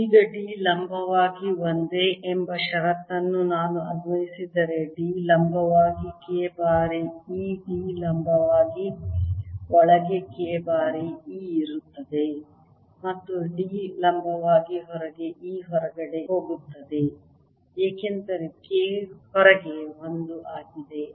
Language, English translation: Kannada, now, if i apply the condition that d perpendicular is the same, right d perpendicular is going to be k times e d perpendicular inside is going to be k times e inside and d perpendicular outside is going to be e outside because oustide k is one